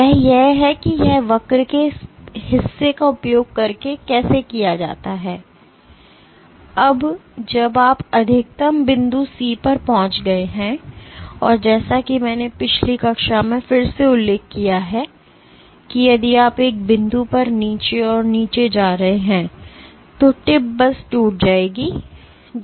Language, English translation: Hindi, And that is how it is done using this portion of the curve; now when after you have reached the maximum point C and as I mentioned again last class that if you keep going down and down at one point the tip will just break that you do not want to do